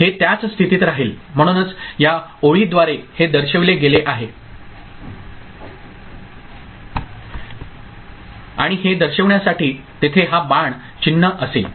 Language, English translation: Marathi, It will remain in the same state, so that is what is shown through this line and this arrow mark will be there to show where it is